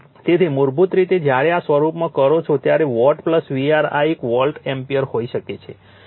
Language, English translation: Gujarati, So, basically when doing right in this form, watt plus your var this can be an volt ampere